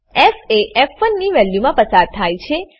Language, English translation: Gujarati, f is passed to the value of f1